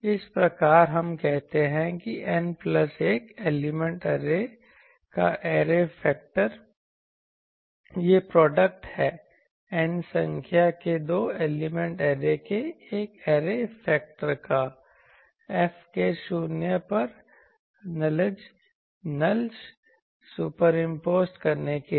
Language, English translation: Hindi, Thus we say that the array factor of an n plus 1 element array is the product of the array factor of capital N number of two element arrays superimposed to produce nulls at the zeroes of F